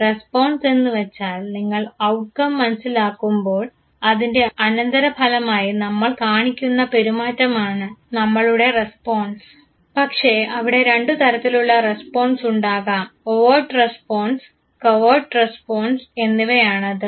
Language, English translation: Malayalam, Response you understand the outcome the resulting behavior that we show that is our response, but there could be two types of responses the overt response and the covert response